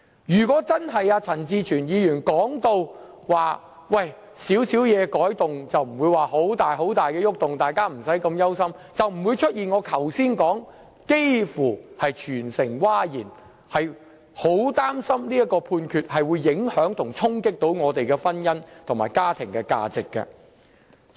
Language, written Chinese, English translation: Cantonese, 如果情況確如陳志全議員所說般，只是少許修改，並無重大變動，大家無須這麼憂心，那便不會出現我剛才說的"幾乎全城譁然"，因為大家也很擔心判決會影響及衝擊我們的婚姻和家庭價值。, Had the situation only been about some minor amendments not involving any significant changes and not warranting any worries as Mr CHAN Chi - chuen so claimed the Judgment would not have provoked a massive outcry nearly across the territory . It is evident that the public is worried about the possible impact and challenge the Judgment may bring to our marriage institution and family values